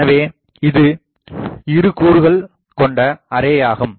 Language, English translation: Tamil, So, this is a two element array